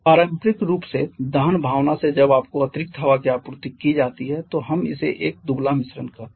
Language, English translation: Hindi, Conventionally from combustion since when you have been supplied with excess air then we call it a lean mixture